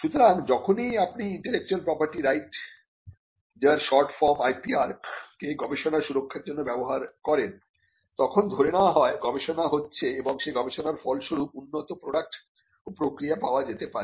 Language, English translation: Bengali, So, when whenever we use IP or Intellectual Property Rights IPR as a short form for protecting research, we are assuming that there is research that is happening which can result in quality products and processes that emanate from the research